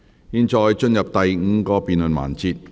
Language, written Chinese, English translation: Cantonese, 現在進入第五個辯論環節。, We now proceed to the fifth debate session